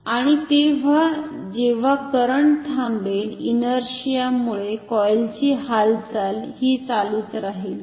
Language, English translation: Marathi, And then when the current has stopped due to inertia the coil will continue to move